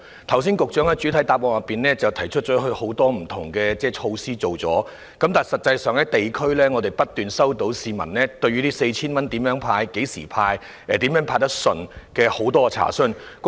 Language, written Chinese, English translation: Cantonese, 剛才局長在主體答覆中提到，已經推出多項不同措施，但我們在地區層面卻不斷收到市民查詢有關這 4,000 元的派發方式及時間，以及如何可以派得暢順。, Just now the Secretary said in the main reply that a myriad of measures have been introduced but we have received many inquiries at the district level about how and when 4,000 would be disbursed and how the disbursement could be made more smoothly